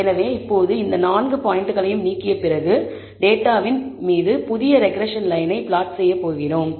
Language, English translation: Tamil, So, now, after removing all these four points, we are going to plot the new regression line over the data